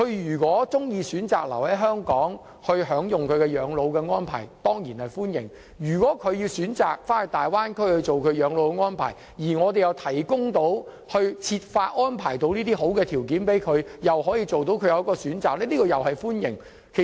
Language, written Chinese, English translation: Cantonese, 如果他們喜歡留在香港享用本地的養老的安排，當然歡迎；如果他們選擇回到大灣區養老，我們又可以設法安排好的條件，讓他們有所選擇。, If they like to stay in Hong Kong to enjoy local elderly care arrangements they are of course welcome to do so . If they choose to retire in the Bay Area we can try to provide the favourable conditions so that they can have a choice